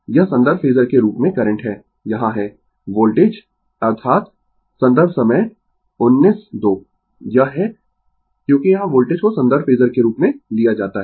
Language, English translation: Hindi, This is current as a reference phasor here is voltage that is it is because voltage here is taken as reference phasor